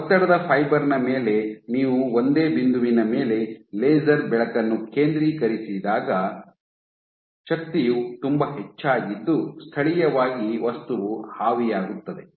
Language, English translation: Kannada, So, the when you focus laser light on a single point on a stress fiber the energy is so high that locally the material just evaporates